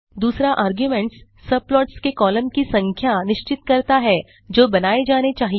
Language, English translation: Hindi, The second argument specifies the number of columns of subplots that must be created